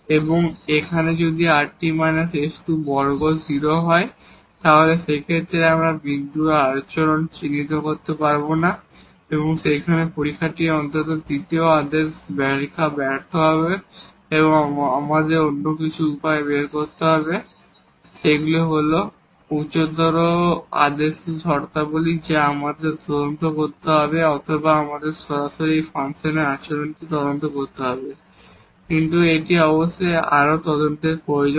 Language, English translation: Bengali, And here rt minus s square will be 0 in that case we cannot identify the behavior of this point and then this test at least the second order test fails and we have to find some other ways; either they the higher order terms we have to investigate or we have to directly investigate the behavior of this function at that point, but it is certainly needs further investigation